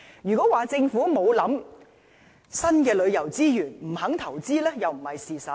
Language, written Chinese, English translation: Cantonese, 如果說政府沒有考慮新的旅遊資源，不肯投資，又不是事實。, However it is not true that the Government has not considered investing in new tourism resources or is unwilling to do so